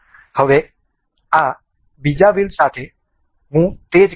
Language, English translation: Gujarati, I will do the same thing with this other wheel